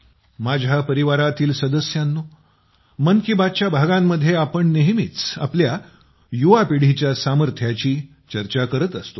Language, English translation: Marathi, My family members, in episodes of 'Mann Ki Baat', we often discuss the potential of our young generation